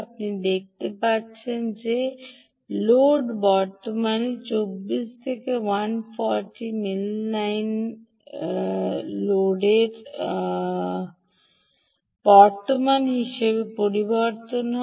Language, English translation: Bengali, you can see that the load current changes from twenty four, as a load current changes from twenty four to hundred and forty nine milliamperes